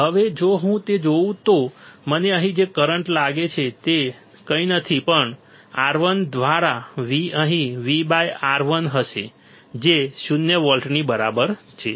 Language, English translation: Gujarati, Now, if I see that then what I would find that is current here is nothing but V by R1 here will be V by R 1, that equals to zero volts